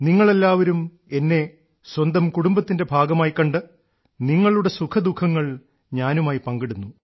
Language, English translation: Malayalam, Considering me to be a part of your family, you have also shared your lives' joys and sorrows